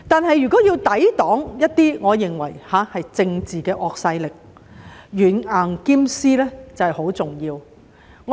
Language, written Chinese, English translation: Cantonese, 然而，若要抵擋一些我認為是政治的惡勢力，軟硬兼施便十分重要。, However in order to resist certain political forces which I consider are of an evil nature it would be very important to adopt the stick and carrot approach